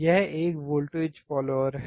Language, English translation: Hindi, This is a voltage follower